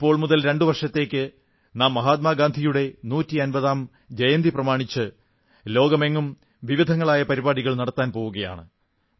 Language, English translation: Malayalam, For two years from now on, we are going to organise various programmes throughout the world on the 150th birth anniversary of Mahatma Gandhi